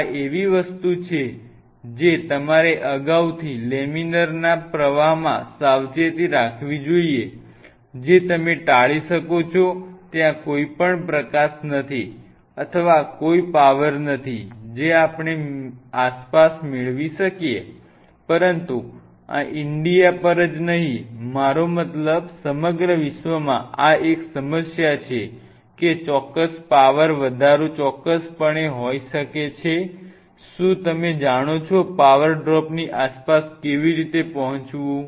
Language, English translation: Gujarati, These are something which you have to take precautions well in advance laminar flow it you can avoid fine there is no light or no power we can get around, but in India this is not on the India, I mean across the world this is a problem there may be certain power serge or certain you know power drop how get around it